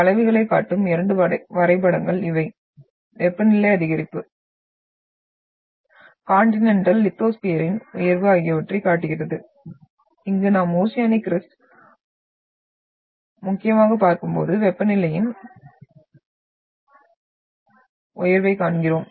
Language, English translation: Tamil, And these are the two graphs which shows the curves, which shows the increase in temperature, rise of the Continental lithosphere and here we are having the rise and the of the temperature when we look at the oceanic crust mainly